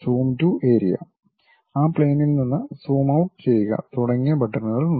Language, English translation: Malayalam, There are buttons like Zoom to Area, zoom out of that plane also